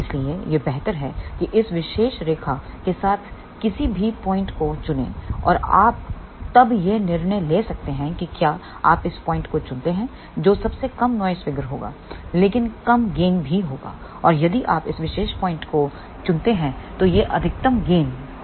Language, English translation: Hindi, So, it is better that choose any point along this particular line and you can then decide to choose if you choose this point that will be the lowest noise figure, but lower gain also and if you choose this particular point then it will be maximum gain and poorer noise figure